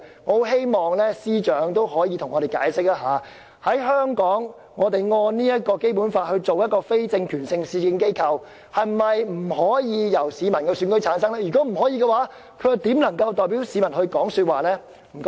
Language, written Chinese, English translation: Cantonese, 我很希望司長可以向我們解釋，在香港，我們按《基本法》來設立非政權性的市政機構，機構成員是否不可以由市民選舉產生，如否，這機構怎能代表市民發聲。, I earnestly hope the Secretary could explain to us that here in Hong Kong if the Government wishes to set up a municipal organization that is not an organ of political power under the Basic Law whether members of this organization could be elected by Hong Kong people . If not how can such an organization represent the public?